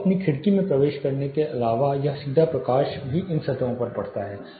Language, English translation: Hindi, So, the direct light apart from entering your window it also falls on these surfaces gets reflected